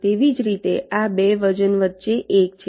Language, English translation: Gujarati, similarly, between these two weight is one